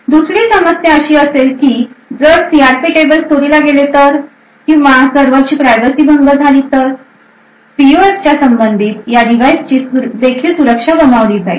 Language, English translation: Marathi, Other aspects that could be an issue is that the CRP tables if they are stolen or if the privacy of the server gets breached then the entire security of the PUFs corresponding to these devices would be lost